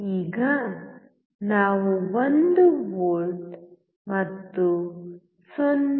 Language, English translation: Kannada, Now, we are applying 1 volt and 0